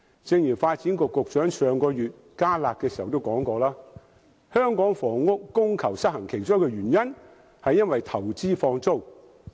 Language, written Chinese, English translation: Cantonese, 正如發展局局長在上月推出"加辣"措施時指出，香港房屋供求失衡其中一個原因是投資放租。, As pointed out by the Secretary for Development when introducing further curb measures last month the imbalance between housing demand and supply in Hong Kong is caused by among others the buying of rental property for investment